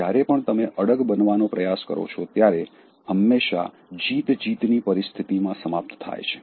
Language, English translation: Gujarati, Whenever you try to assert, it always ends in a win win situation